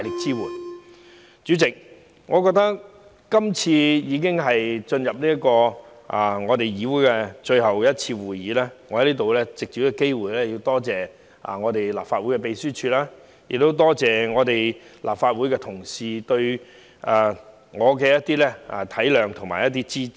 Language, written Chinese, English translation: Cantonese, 主席，這次已是我加入議會的最後一次會議，我想藉此機會感謝立法會秘書處，並感謝立法會各同事對我的體諒和支持。, This being the last Council meeting since I joined the Legislative Council President I would like to take this opportunity to extend my gratitude to the Legislative Council Secretariat and all my colleagues in the Legislative Council for their understanding and support